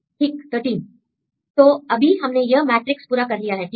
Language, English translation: Hindi, Right, 13; so now, we finally completed this matrix right